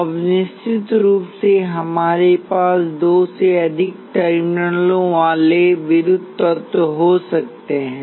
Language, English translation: Hindi, Now, of course, we can have electrical elements with more than two terminals